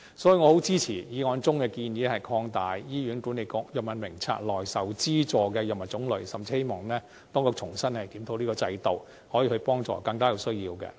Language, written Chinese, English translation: Cantonese, 所以，我很支持議案中的建議，擴大醫管局《藥物名冊》內受資助藥物的種類，甚至希望當局重新檢討這個制度，幫助更多有需要的人。, This is why I very much support the proposal put forward in the motion for expanding the types of subsidized drugs in the Drug Formulary of HA . I even hope that the authorities can review this system afresh to help more people in need